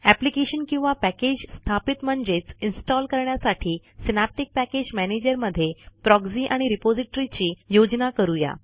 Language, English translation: Marathi, Let us configure Proxy and Repository in Synaptic Package Manager for installing an application or package